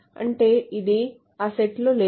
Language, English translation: Telugu, That means, not in that set